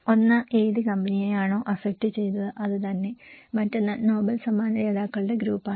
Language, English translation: Malayalam, One is the company itself, who were affected and other one is a group of Nobel laureate